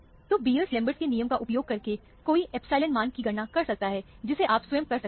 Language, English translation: Hindi, So, using Beer Lambert's law, one can calculate the epsilon value, which you can do it yourself